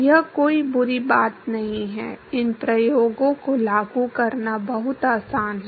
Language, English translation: Hindi, This is not a bad thing do it is very easy to implement these experiment